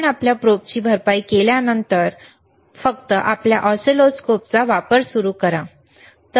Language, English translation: Marathi, After you compensate your probe, then and then only start using your oscilloscope, all right